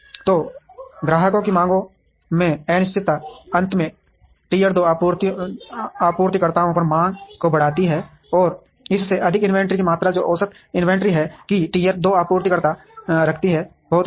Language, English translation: Hindi, So, the uncertainty in demands of the customer finally, increases the demand on tier two suppliers, and more than that the amount of inventory that average inventory that the tier two supplier holds is very high